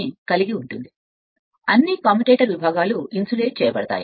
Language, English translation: Telugu, If you look into this that all commutator segments are insulated right